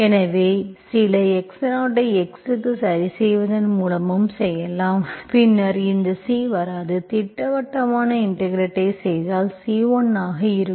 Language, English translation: Tamil, So you can also do by fixing some x0 to x, then this C will not come into picture, okay